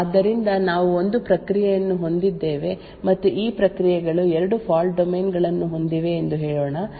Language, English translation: Kannada, So let us say that we have a one process and these processes have has 2 fault domains, fault domain 1 and fault domain 2